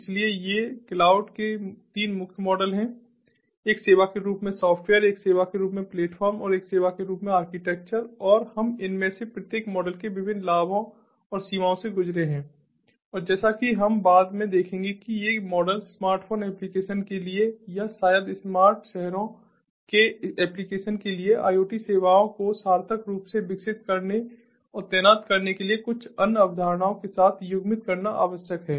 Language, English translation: Hindi, so these are the three main models of cloud: the software as a service, platform as a service and infrastructure as a service and we have gone through the different advantages and limitations of each of these models and, as we will see later on, that these models, coupled with few other concepts, are required in order to meaningfully develop and deploy iot services, maybe for smartphone applications or maybe for smart ah cities applications